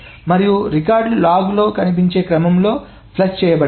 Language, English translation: Telugu, And the records are of course flushed in the order in which they appear in the log